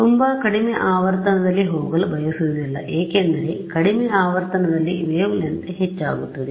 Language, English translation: Kannada, I do not want to go too low because as I go to lower frequencies what happens to the wave length